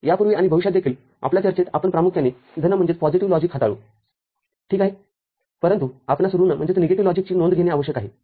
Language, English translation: Marathi, In our discussion before now and in future also, we’ll primarily deal with positive logic ok, but we need to take note of negative logic